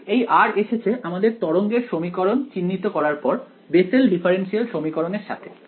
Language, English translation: Bengali, So, this r came from identifying this wave equation over here with the Bessel differential equation correct